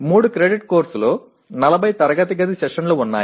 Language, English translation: Telugu, A 3 credit course has about 40 classroom sessions